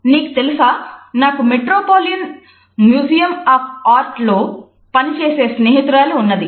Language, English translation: Telugu, You know I have a friend, who works at the metropolitan museum of art